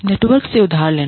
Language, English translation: Hindi, Borrowing from the network